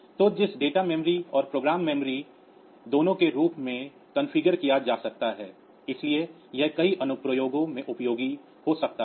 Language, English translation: Hindi, So, which can be configured both as data memory and program memory so, that may be useful in many applications